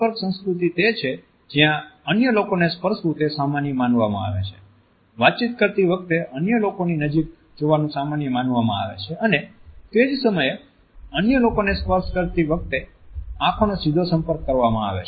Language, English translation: Gujarati, A contact culture is one where as it is considered to be normal to touch other people; it is considered to be normal to move closer to other people while communicating and at the same time to have a more direct eye contact while touching other people